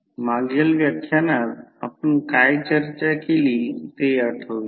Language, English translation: Marathi, Let us recollect what we discussed in previous lectures